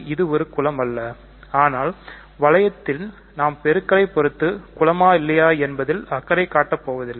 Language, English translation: Tamil, So, it is not a group, but for a ring we do not care whether multiplication is a group or not